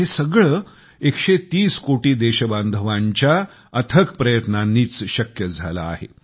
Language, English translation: Marathi, And all this has been possible due to the relentless efforts of a 130 crore countrymen